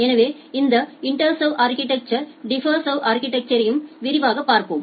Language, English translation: Tamil, So, we will look into this IntServ architecture and the DiffServ architecture in details